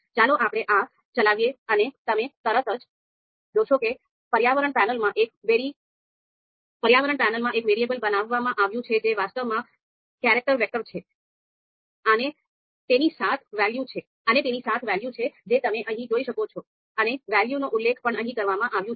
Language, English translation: Gujarati, So let us run this and immediately you would see that in the environment panel here you would see a criteria you know variable has been created which is actually a character vector and having seven values as you can see here and the values are also mentioned here